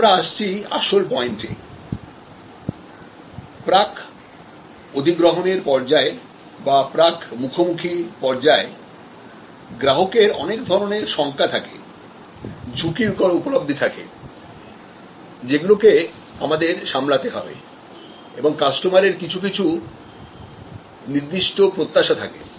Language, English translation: Bengali, So, now you are coming to the key point that in the pre acquisition stage or the pre encounters stage, customer has lot of worries, risk perceptions which we have to manage and customer has certain expectations